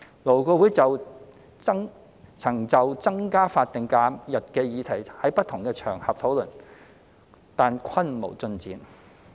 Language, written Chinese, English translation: Cantonese, 勞顧會曾就增加法定假日的議題在不同場合討論，但均無進展。, LAB had discussed proposals to increase SHs on different occasions but to little avail